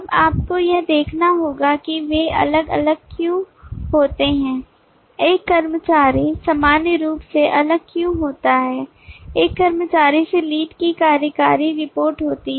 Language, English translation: Hindi, now you have to look at where do they differ why does an executive differ from in general from an employee is there an executive reports to the lead